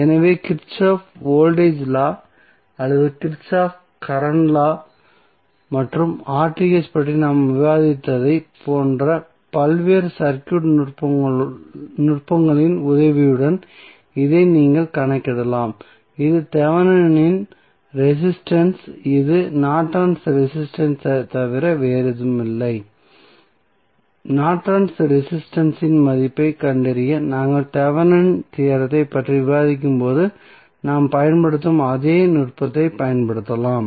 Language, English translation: Tamil, So, this you can calculate with the help of various circuit techniques like we discussed Kirchhoff Voltage Law or Kirchhoff Current Law and the R Th that is Thevenin resistance which is nothing but the Norton's resistance also we can utilize the same technique which we utilize while we were discussing the Thevenm's theorem to find out the value of Norton's resistance